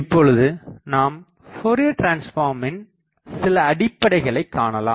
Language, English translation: Tamil, Now, again I recall another thing of Fourier transform